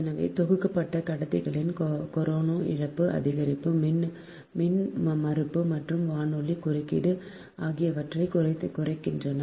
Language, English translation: Tamil, so bundled conductors are also reduced, the corona loss surge impedance and radio interferance right